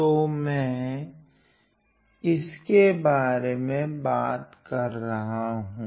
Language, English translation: Hindi, So, I am talking about